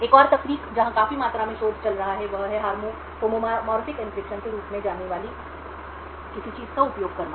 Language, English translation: Hindi, Another technique where there is a considerable amount of research going on is to use something known as Homomorphic Encryption